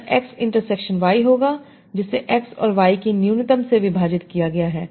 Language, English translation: Hindi, This will be x intersection y divide by minimum of x and y